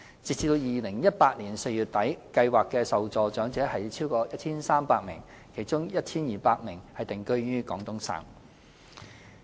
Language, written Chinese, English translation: Cantonese, 截至2018年4月底，計劃的受助長者超過 1,300 名，其中 1,200 名定居於廣東省。, As of the end of April 2018 over 1 300 elderly persons benefited from PCSSA with 1 200 of whom residing in Guangdong